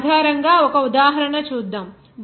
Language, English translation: Telugu, Let us do an example based on this